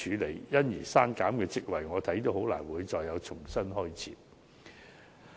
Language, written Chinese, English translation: Cantonese, 對於因此而刪減的職位，依我看來也難以重新開設。, In my opinion the posts thus deleted can hardly be reinstated